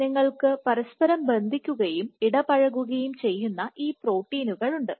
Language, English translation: Malayalam, So, you have these proteins which kind of bind interact, bind and interact with each other